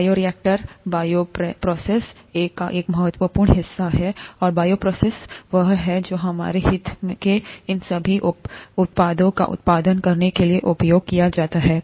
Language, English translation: Hindi, The bioreactor is a part, an important part of what is called a bioprocess, and the bioprocess is the one that is used to produce all these products of interest to us